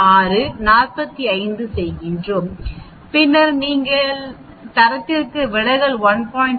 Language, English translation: Tamil, 6 minus 45 and then you are standard deviation is 1